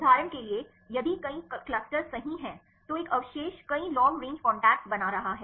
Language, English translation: Hindi, For example, if there are many clusters right one residue is forming many long range contacts